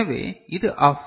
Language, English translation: Tamil, So, this is off